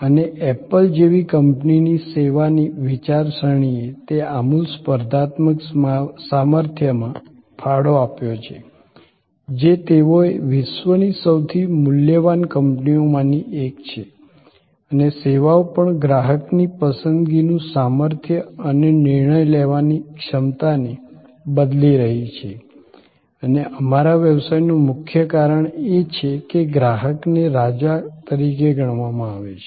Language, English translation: Gujarati, And service thinking of a company like apple contributed to that radical competitive strength they have created becoming the one of the most valuable companies of the world and services are also changing customer's choices power and decision making and earlier it was set customer is the king customer is the reason for our business